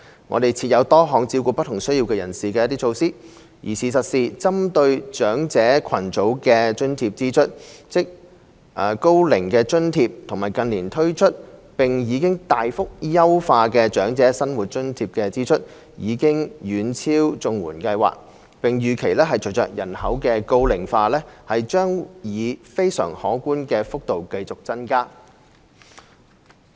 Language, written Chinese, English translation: Cantonese, 我們設有多項照顧不同需要人士的措施，而事實上，針對長者群組的津貼支出——即高齡津貼和近年推出並已大幅優化的長者生活津貼的支出——已遠超綜援計劃，並預期將隨着人口高齡化以非常可觀的幅度繼續增加。, We have put in place various measures to cater for the different needs of the needy . As a matter of fact the expenditure on allowances targeting the elderly group―ie . the expenditure arising from the Old Age Allowance OAA and the recently introduced and greatly enhanced Old Age Living Allowance OALA―has outstripped that of the CSSA Scheme